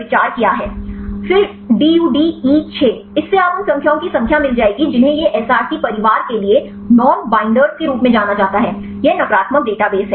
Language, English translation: Hindi, Then DUD E 6; this will give you the number of decays these are these are known non binders for Src family; these are negative database